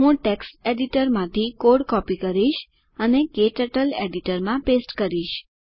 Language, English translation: Gujarati, I will copy the code from text editor and paste it into KTurtles editor